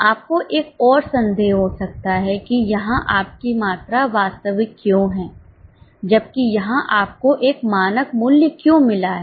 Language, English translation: Hindi, You may have one more doubt as to why here you have actual quantity while why you have got a standard price